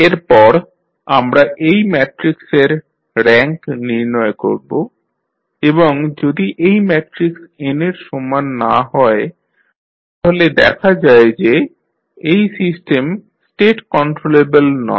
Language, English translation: Bengali, Then we find out the rank of this matrix and if the rank of this matrix is not equal to n that shows that the System State are not controllable